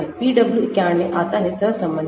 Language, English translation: Hindi, PW 91 comes from correlation